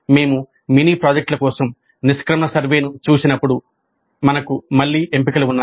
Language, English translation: Telugu, When you look at the exit survey for mini projects we have again options